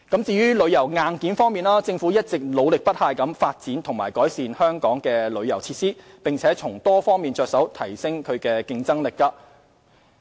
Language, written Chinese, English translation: Cantonese, 至於旅遊硬件方面，政府一直努力不懈發展和改善香港旅遊設施，並從多方面着手提升競爭力。, Regarding tourism hardware the Government has spared no effort in developing and enhancing Hong Kongs tourism facilities as well as upgrading its competitiveness by various means